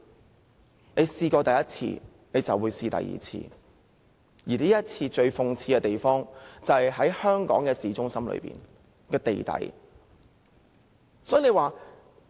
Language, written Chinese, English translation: Cantonese, 這種事情只要試過第一次，便會有第二次，而這次最諷刺的是，此事發生在香港市中心的地底。, Things of this kind are bound to happen again and most ironically it happened at the underground of Hong Kongs city centre